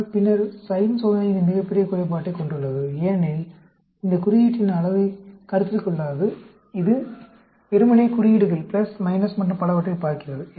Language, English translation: Tamil, But then, the sign test has this biggest drawback, because it does not consider the magnitude of the sign; it just looks at the signs, plus, minus and so on